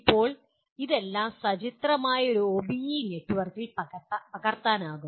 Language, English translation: Malayalam, Now all this can be captured in a pictorial form, the OBE network